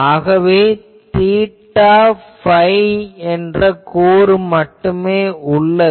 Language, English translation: Tamil, So, there are only theta phi component